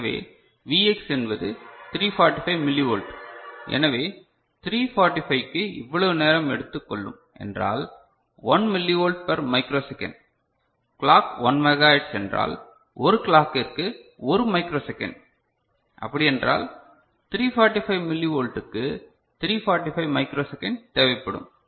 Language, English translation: Tamil, So, Vx is 345 millivolt; so, 345 you know this micro second of time will be required 1 millivolt per microsecond and we are considering the clock is as 1 micro hertz, 1 megahertz ok